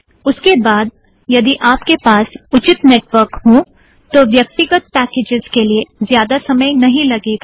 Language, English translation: Hindi, After that if you have reasonable network individual packages should not take too much time